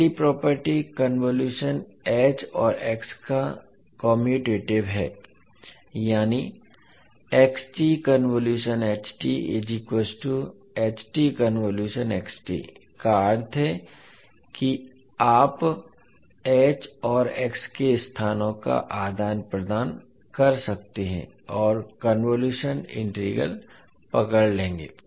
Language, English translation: Hindi, So first property is convolution of h and x is commutative means you can exchange the locations of h and x and the convolution integral will hold